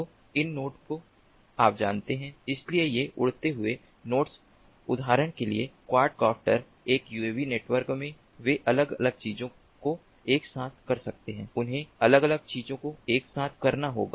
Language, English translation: Hindi, so these nodes, you know, so these flying nodes, these quad copters, for example, in a uav network they could be doing different things together